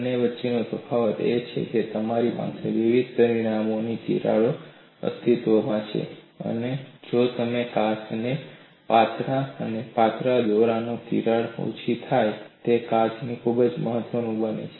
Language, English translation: Gujarati, The difference between the two is, you have cracks of various dimensions exist, and if you draw the glass thinner and thinner the cracks diminish and glass becomes very strong